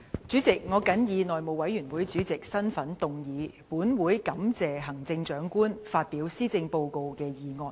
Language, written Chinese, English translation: Cantonese, 主席，我謹以內務委員會主席的身份動議"本會感謝行政長官發表施政報告"的議案。, President in my capacity as Chairman of the House Committee I move the motion That this Council thanks the Chief Executive for her address